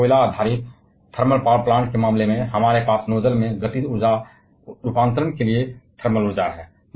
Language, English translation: Hindi, Like, in case of a coal based thermal power plant, we have thermal energy to kinetic energy conversion in the nozzle